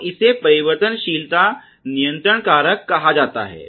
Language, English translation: Hindi, So, this called a variability control factors